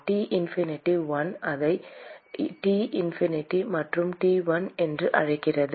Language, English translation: Tamil, T infinity 1 call it T infinity and T1